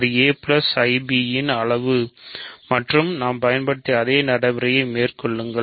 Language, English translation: Tamil, So, this is the size of a plus ib and carry out the same procedure that we used